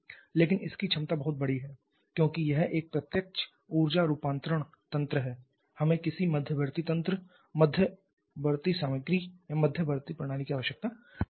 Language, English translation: Hindi, But the potential is enormous because this is a direct energy conversion mechanism we don't need any intermediate mechanism intermediate material intermediate system